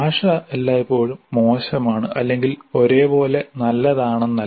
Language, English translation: Malayalam, It is not that the language is always bad or uniformly good